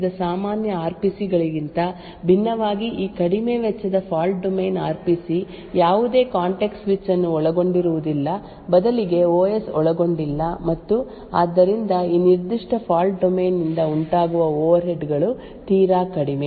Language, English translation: Kannada, So, unlike the regular RPCs which we discussed previously this low cost fault domain RPC does not involve any context switch rather the OS is not involved at all and therefore the overheads incurred by this particular fault domain is extremely less